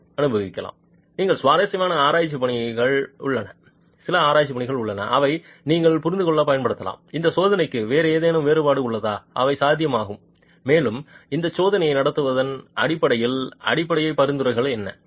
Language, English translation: Tamil, There are some interesting research work that is available which you can use to understand are there any other variations to this test that is possible and what are the basic recommendations in terms of conducting this test itself